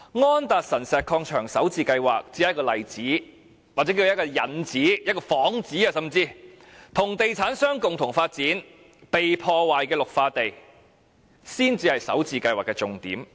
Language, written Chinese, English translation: Cantonese, 安達臣石礦場首置計劃只是一個例子，或者叫作一個引子，甚至是一個幌子，與地產商共同發展已遭破壞的綠化地，才是首置計劃的重點。, The Starter Homes scheme at Andersen Road Quarry is just an example or shall we call it a prelude or even a pretext for destroying green areas together with real estate developers . That is the key point of the Starter Homes scheme